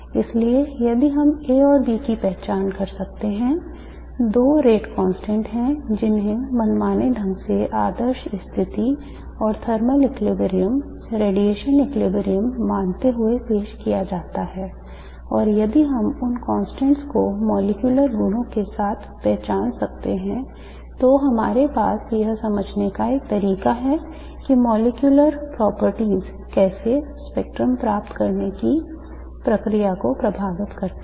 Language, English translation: Hindi, Therefore if we can identify A and B the two rate constants which are arbitrarily introduced, assuming ideal conditions and thermal equilibrium, radiation equilibrium, and if we can identify these constants with the molecular properties, then we have a way of understanding how molecular properties influence the process of spectrum, of obtaining the spectrum